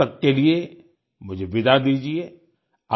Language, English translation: Hindi, Till then, I take leave of you